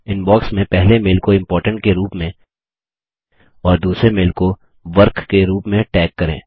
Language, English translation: Hindi, Lets tag the the first mail in the Inbox as Important and the second mail as Work